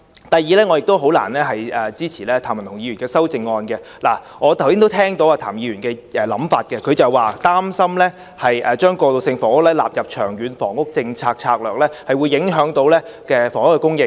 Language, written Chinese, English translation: Cantonese, 第二，我亦難以支持譚文豪議員的修正案，我剛才聽到譚議員的想法，他表示擔心將過渡性房屋納入《長遠房屋策略》，會影響房屋供應。, Second I cannot support Mr Jeremy TAMs amendment either . Just now I heard Mr TAMs thoughts . He was concerned that the inclusion of transitional housing into the Long Term Housing Strategy would affect housing supply